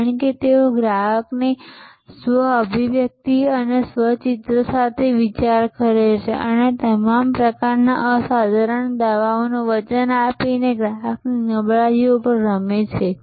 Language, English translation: Gujarati, Because, they thinker with customer self expression and self image and play on customer weaknesses by promising all kinds of unsubstantial claims